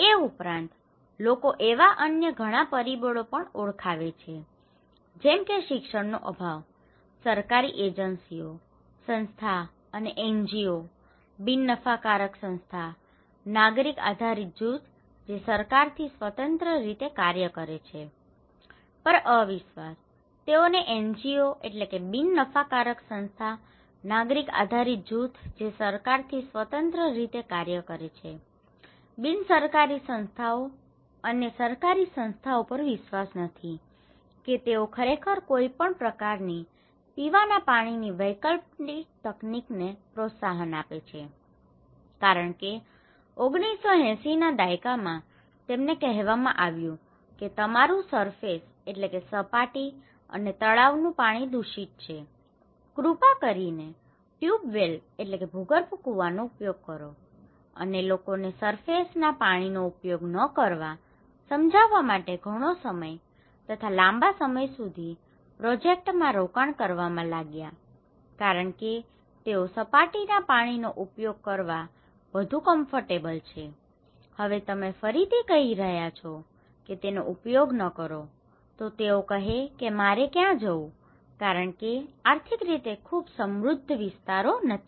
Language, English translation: Gujarati, Also, there are other factors people identified, these are lack of education, distrust and distrust in government agencies and NGOs, they cannot believe that these NGOs, nongovernmental organizations and governmental organizations are really honest promoting any kind of alternative drinking water technology because in 1980’s they were told that okay your surface, your ponds are contaminated, please use tube wells, it took a long time to convince people not to use surface water, they are more, more comfortable, much, much more comfortable using surface water which took much longer time spending a lot of investment projects to motivate people to use tube wells not surface water